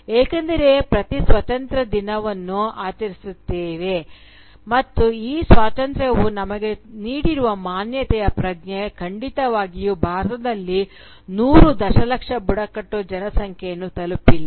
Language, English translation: Kannada, Because, this freedom that we talk about so much, that we celebrate every independence day, and the sense of agency that this freedom has given us, has definitely not reached the hundred million strong tribal population in India